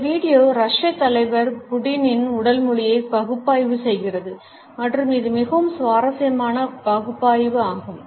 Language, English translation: Tamil, This video is analysed the body language of the Russian leader Putin and it is a very interesting analysis